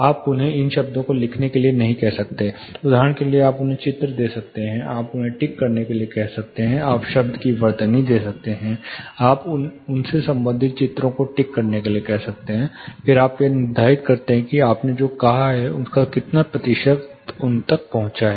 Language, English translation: Hindi, You cannot ask them to write these words for example, you can give them pictures, you ask them to tick, but you spell the word, you ask them to tick the corresponding pictures, then you determine how much percentage of what you said has actually reach them